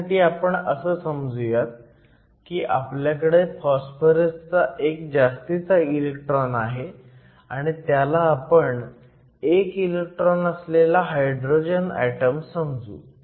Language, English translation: Marathi, To do that we simply say that we have phosphorous ion with one extra electron and we will treat this as a hydrogen atom with one electron